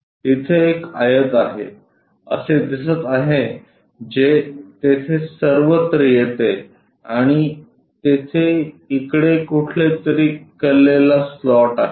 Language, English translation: Marathi, Something like there is a rectangle which comes all the way there and there is an inclined slot somewhere here